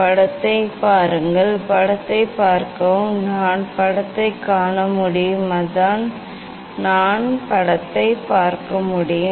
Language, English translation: Tamil, See the image; see the image, I can see the image and it is, I can see the image